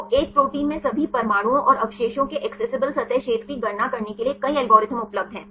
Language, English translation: Hindi, So, there are several algorithms available to calculate the accessible surface area of all atoms and residues in a protein